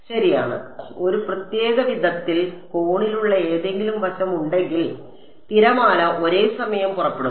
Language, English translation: Malayalam, Right so, if there is some facet which is angled at a certain way the wave will go off at the same time